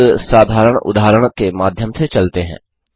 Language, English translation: Hindi, Let us go through a simple example